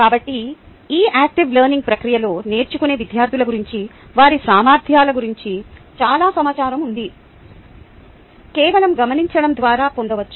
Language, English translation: Telugu, ok, so during this active learning process there is so much information about the students learning, their abilities and so on, so forth, that can be gleaned by just observing